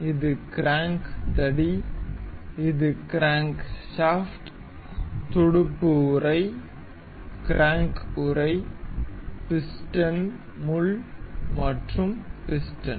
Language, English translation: Tamil, This is crank rod; this is crankshaft; the fin casing; the crank casing; the piston pin and the piston itself